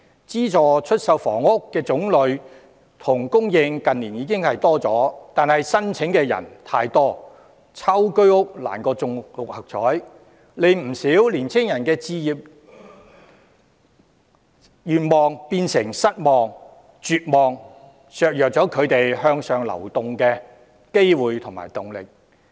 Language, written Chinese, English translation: Cantonese, 資助出售房屋的種類及供應近年已有增加，但申請人太多，抽中居屋難過中六合彩，令不少人的置業願望變成失望、絕望，削弱了他們向上流動的機會和動力。, While the types and supply of subsidized sale housing have increased in recent years over - subscription has made it more difficult for applicants to buy a flat under the Home Ownership Scheme than to win the Mark Six lottery . The home ownership aspirations of quite a number of people have turned into disappointment and despair undermining their chances of and motivation for upward mobility